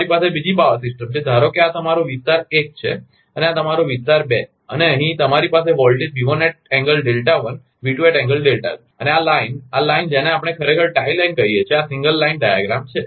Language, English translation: Gujarati, You have another power system, suppose this is your area one and this is your area two and here, you have voltage V1 angle delta one, V1 angle delta two and this line, this line we call actually tie line, this is a single line diagram